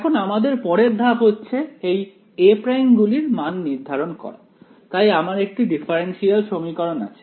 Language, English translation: Bengali, Now the next step is to find out what are these a’s right, so I have a differential equation